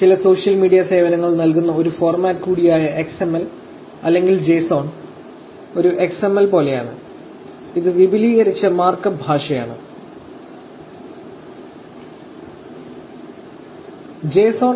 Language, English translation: Malayalam, XML, which is also a format with some social media services give, or the JSON, is also a little bit like an XML, which is Extended Mark up Language